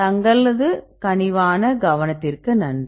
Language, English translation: Tamil, Thank you for your kind attention